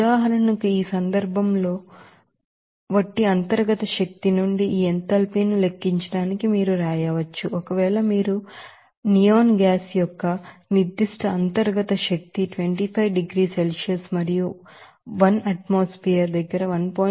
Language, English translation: Telugu, Similarly, another example you can do to calculate this enthalpy from the internal energy like in this case, if you know that a specific internal energy of suppose neon gas at 25 degree Celsius and 1 atmosphere is 1